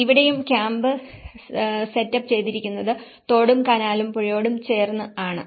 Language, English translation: Malayalam, And even here, the whole camp have set up along with the river along with the canal and the rivers